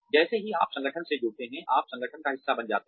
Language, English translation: Hindi, You become part of the organization, as soon as you join the organization